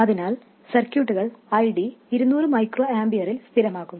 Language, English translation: Malayalam, So, the circuit settles down to ID being 200 microamperors